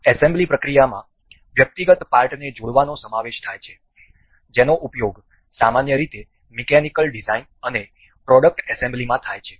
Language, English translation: Gujarati, The assembly process consist of combing the individual parts that are usually used in mechanical designs and product assembly